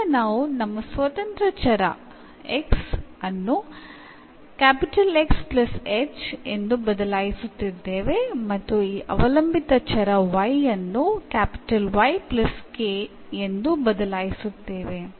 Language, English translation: Kannada, So, now, our independent variables we are changing here the x is X plus h and this y the dependent variable also as Y plus k